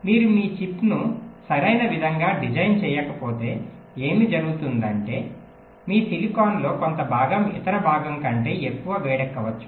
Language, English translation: Telugu, well, if you do not design your chip in a proper way, what might happen is that some part of your silicon might get heated more than the other part